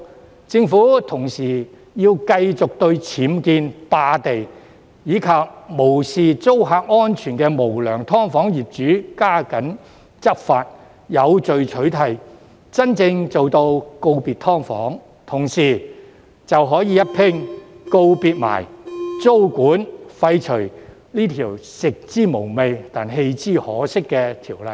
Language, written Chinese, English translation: Cantonese, 同時，政府亦要繼續對僭建、霸地，以及無視租客安全的無良"劏房"業主加緊執法，有序取締，真正做到告別"劏房"，屆時就可以一併告別租管，廢除這項"食之無味，棄之可惜"的條例。, Meanwhile the Government should also continue to step up enforcement against UBWs unlawful occupation of lands and unscrupulous landlords of SDUs who disregard the safety of tenants so as to eradicate SDUs in an orderly manner and bid true farewell to SDUs . By then we will be able to bid farewell to tenancy control and abolish this legislation which is not good enough to get excited about but not bad enough to forego without regret